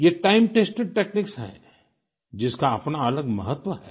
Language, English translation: Hindi, These are time tested techniques, which have their own distinct significance